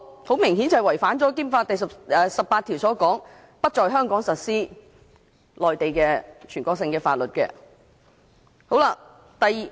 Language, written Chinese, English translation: Cantonese, 很明顯，這違反了《基本法》第十八條所訂有關不在香港實施全國性法律的規定。, Obviously this is a breach of Article 18 of the Basic Law which stipulates that national laws shall not be applied in Hong Kong